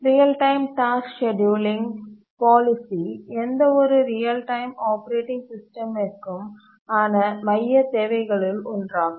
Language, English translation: Tamil, Real time task scheduling policy, this is one of the central requirements of any real time operating systems